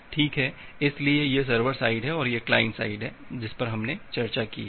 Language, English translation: Hindi, Well, so this is the server side and this is the client side that we have discussed